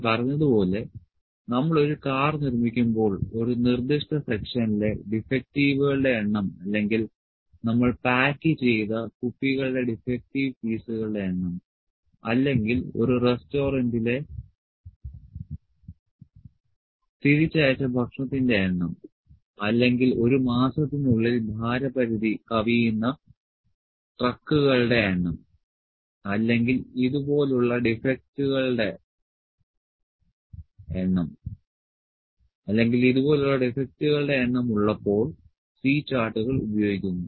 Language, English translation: Malayalam, As I said when we manufacture a car the number of defectives in a specific section, or the number of defective pieces of the bottles which were packed, or the number of a return meals in a restaurant, or of the number of trucks that exceed their weight limit in a month, or like this when number of defects are there, C charts are used